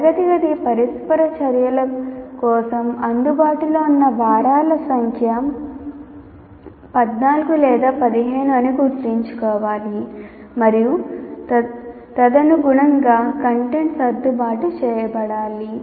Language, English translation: Telugu, So that should be kept in mind the number of weeks available for classroom interactions to 14 or 15 and the content will have to be accordingly adjusted